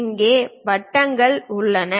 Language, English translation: Tamil, Here there are circles